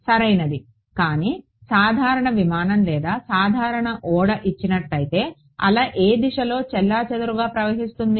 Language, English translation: Telugu, Right, but given a general aircraft or a general ship, what direction will the wave gets scattered into